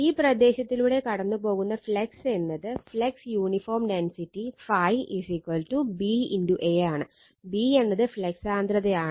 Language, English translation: Malayalam, And the flux passing through the area for uniform flux density phi is equal to B into A; B is the flux density